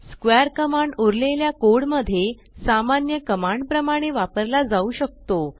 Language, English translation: Marathi, square command can now be used like a normal command in the rest of the code